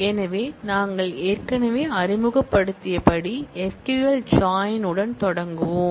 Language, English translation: Tamil, So, we start with the join expressions in SQL join as we have already introduced